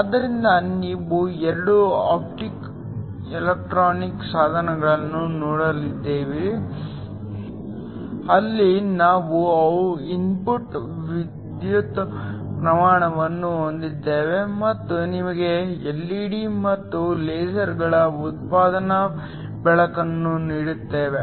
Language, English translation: Kannada, So, we have looked at 2 Optoelectronic devices where we have an input electric current giving you an output light both LED’s and LASERs